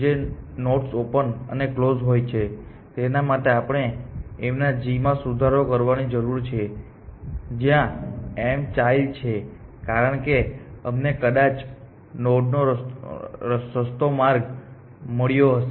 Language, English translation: Gujarati, For nodes which are on open and on closed we need to revise g of m where m is a child, because we make might have found the cheaper path to a node